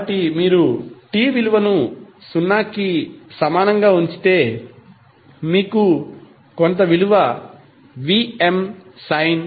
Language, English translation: Telugu, So, if you put value of t is equal to zero, you will get some value called Vm sine 5